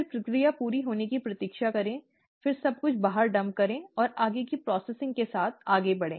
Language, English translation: Hindi, Then, wait for the process to go to completion, then dump everything out and proceed with further processing